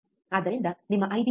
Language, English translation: Kannada, So, what will be your I B